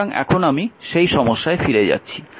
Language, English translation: Bengali, So, now I am going back to that problem, let me clean this